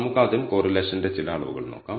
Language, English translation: Malayalam, So, let us first look at some measures of correlation